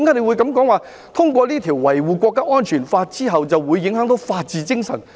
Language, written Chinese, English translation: Cantonese, 為何他會說通過這項《香港國安法》後會影響法治精神呢？, Why did he say that the passage of the Hong Kong National Security Law would affect the spirit of the rule of law?